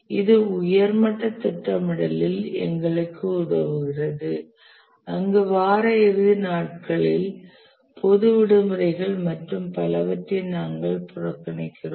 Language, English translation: Tamil, This helps us in a high level scheduling where we ignore what are the intervening weekends, public holidays and so on